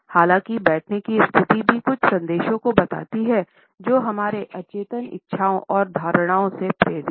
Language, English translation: Hindi, However, the sitting positions also communicates certain messages which are likely to be motivated by our unconscious desires and perceptions